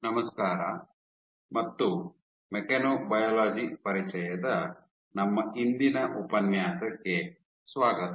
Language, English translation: Kannada, Hello and welcome to our today’s lecture of Introduction to Mechanobiology